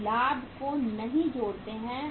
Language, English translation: Hindi, We do not add up the profit